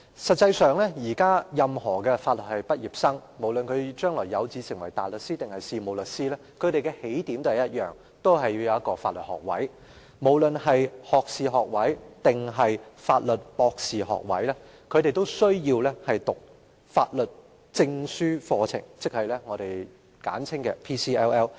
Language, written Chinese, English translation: Cantonese, 實際上，現時任何法律系畢業生，不論將來有志成為大律師或事務律師，他們的起點也是相同的，就是必須擁有法律學位——學士學位或法律博士學位——並修讀法學專業證書課程，即我們簡稱的 PCLL。, In fact law graduates nowadays regardless of whether they aspire to become barristers or solicitors in the future all share the same starting point that is they must have a law degree―either a bachelors degree or a Juris Doctorate―and have attended the Postgraduate Certificate in Laws programme ie . PCLL in short